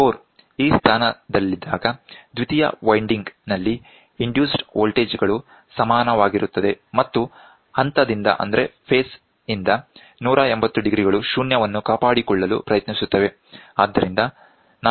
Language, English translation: Kannada, When the core is in this position, the induced voltage in the secondary winding are equal and 180 degrees out of phase which tries to maintain zero